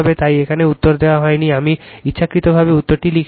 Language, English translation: Bengali, So, answer is not given here I given intentionally I did not write the answer